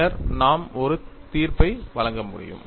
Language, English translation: Tamil, Then we can make a judgment